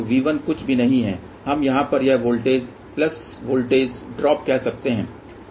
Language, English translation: Hindi, So, V 1 is nothing but we can say this voltage plus voltage drop over here